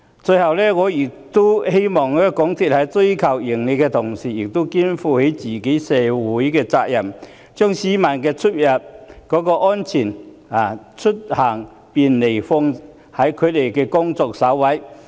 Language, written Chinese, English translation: Cantonese, 最後，我希望港鐵公司在追求盈利的同時，亦能肩負社會責任，把市民的出行安全及便利放在工作首位。, Finally I hope that while MTRCL seeks to maximize its profits it can also assume corporate social responsibilities and put peoples travel safety and convenience as its top priority